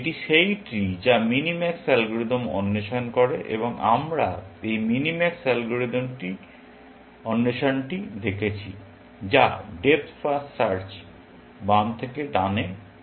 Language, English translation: Bengali, This is the tree which minimax algorithm explores, and we saw that this explore, minimax algorithm does, is depth first search, left to right